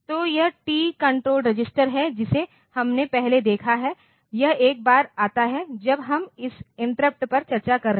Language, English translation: Hindi, So, that is the TCON register that we have seen previously it comes once, when we are going into this interrupt discussion